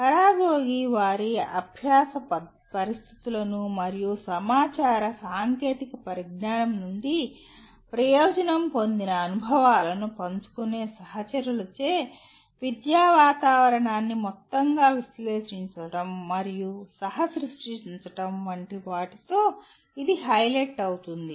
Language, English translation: Telugu, But again it highlights as paragogy deals with analyzing and co creating the educational environment as a whole by the peers who share their learning situations and experiences benefitting from information technology